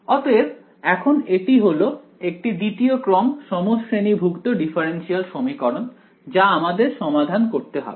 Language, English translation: Bengali, So, now, let us now this is the second order homogenous differential equation that we want to solve ok